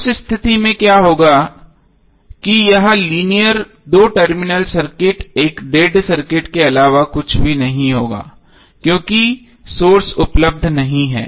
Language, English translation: Hindi, So in that case what will happen that this linear two terminal circuit would be nothing but a dead circuit because there is no source available